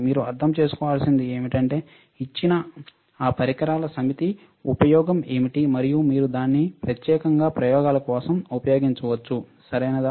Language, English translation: Telugu, What you should understand is, that given a given a set of equipment what is a use of those equipment, and can you use it for particular experiments, right